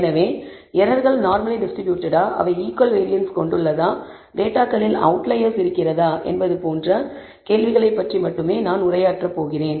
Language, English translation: Tamil, So, I am going to only address the first 2 questions, whether the errors are normally distributed, whether they have equal variance and whether there are outliers in the data